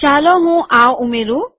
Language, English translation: Gujarati, Let me add this